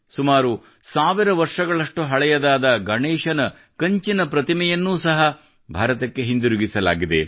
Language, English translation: Kannada, Nearly a thousand year old bronze statue of Lord Ganesha has also been returned to India